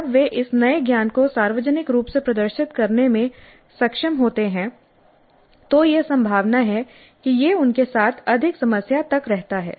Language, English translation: Hindi, When they are able to publicly demonstrate this new knowledge in its application, it is likely that it stays with them for much longer periods